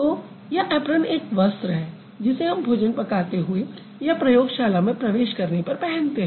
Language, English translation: Hindi, So, so this apron is a garment that we wear when we cook or when we go to the laboratories, right